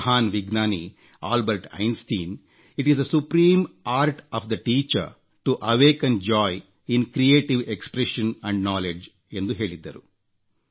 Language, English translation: Kannada, The great scientist Albert Einstein said, "It is the supreme art of the teacher to awaken joy in creative expression and knowledge